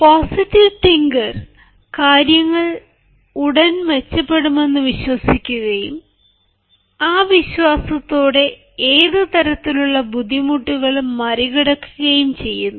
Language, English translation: Malayalam, one must have a positive mental attitude that firmly believes that things will soon be better and with that belief one can overcome any type of difficulty in his favour